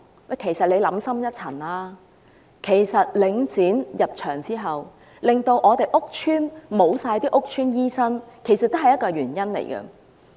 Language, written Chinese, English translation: Cantonese, 大家且想深一層，自從領展"入場"後，令屋邨完全沒有屋邨醫生，亦是原因之一。, Since the taking over by Link REIT doctors practising in public housing estates no longer exist this is one of the reasons as well